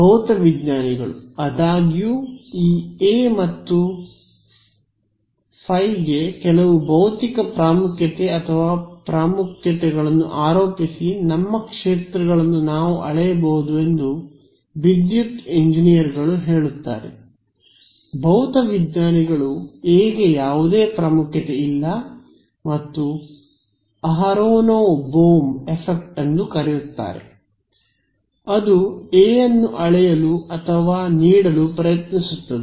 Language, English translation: Kannada, Physicists; however, attribute some physical importance or significance to this A and phi, electrical engineers say all we can measure of our fields physicists say that no there is some significance to A and there is something call the aronov Bohm effect which tries to measure or give a physical significance to A and they say that in some highly specific quantum regime there is some physical meaning for A